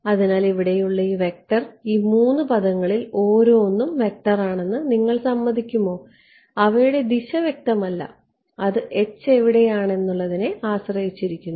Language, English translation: Malayalam, So, this vector over here, will you agree that these each of these 3 terms is a vector right direction is not clear I mean it depends on where H is right